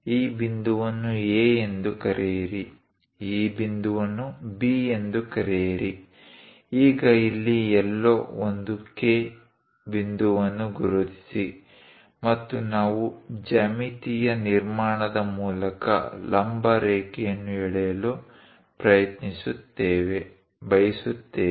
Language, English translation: Kannada, Call this point A, call this point B; now mark a point K somewhere here, and we would like to draw a perpendicular line through geometric construction